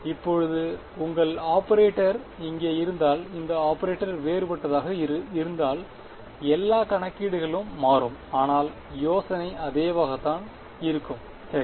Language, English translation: Tamil, Now, in case that your operator over here, this in if this operator was something different, then all the calculations will change; but the idea will remain the same right